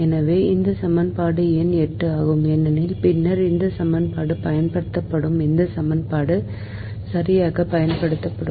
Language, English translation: Tamil, so this is equation number eight, right at the same time, because later this equation will be used, this equation will be used right now